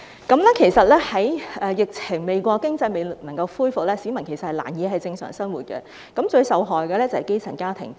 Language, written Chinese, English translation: Cantonese, 當疫情未過，經濟還未復蘇的時候，市民仍難以正常生活，而最受害的就是基層家庭。, When the epidemic is still not over and the economy has not yet recovered people can hardly resume their normal life . The ones who suffer most are grass - roots families